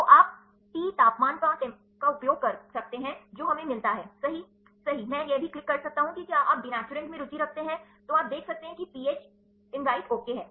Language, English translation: Hindi, So, you can use the T temperature we get denaturant right ok, I can also click at the if you interested in denaturant right, then you can see the pH is these right ok